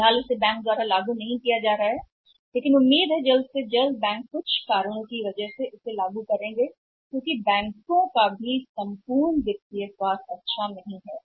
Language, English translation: Hindi, For the time being it is not being implemented by the bank but it is expected that soon banks will have to do it because of certain reasons because banks overall financial health is also not good